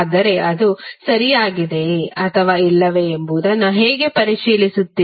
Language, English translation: Kannada, But how you will verify whether it is correct or not